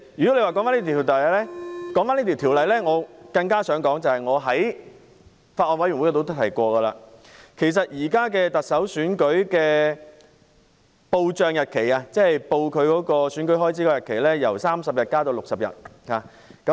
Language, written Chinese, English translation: Cantonese, 主席，說回這項《條例草案》，我想指出一點，是我在法案委員會也提過的，就是現時特首選舉的報帳日期——即申報選舉開支的日期——由30天增至60天，與立法會看齊。, Now President coming back to the Bill I would like to make a point which I have mentioned in the Bills Committee on the current time frame for the submission of expenses return for the Chief Executive Election―the deadline for submitting election returns―to be extended from 30 days to 60 days in line with that for the Legislative Council Election